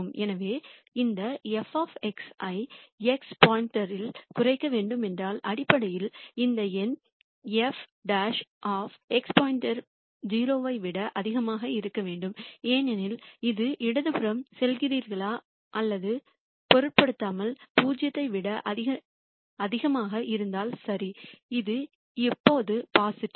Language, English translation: Tamil, So, if this f of x has to be minimized at x star then basically this number f double prime at x star has to be greater than 0 because if this is greater than 0 irrespective of whether you are going to the left or the right this is always positive